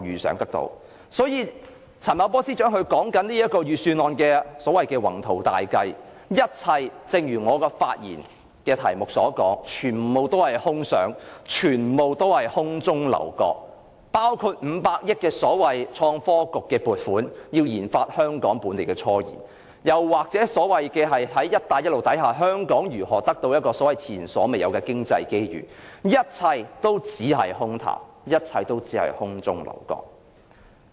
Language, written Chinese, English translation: Cantonese, 所以，陳茂波司長的預算案內的所謂宏圖大計，正如我的發言題目所言，全是空想，全是空中樓閣，包括500億元的所謂創科局撥款，以研發香港本地的科研，又或在"一帶一路"下香港如何獲得前所未有的經濟機遇，一切也是空談，一切也只是空中樓閣。, Therefore as pointed out in the title of my speech the ambitious plans in the Budget by Secretary Paul CHAN are all castles in the air . The 500 billion funding to the Innovation and Technology Bureau for local scientific researches or the unprecedented economic opportunities under the Belt and Road Initiative are merely empty talk and castles in the air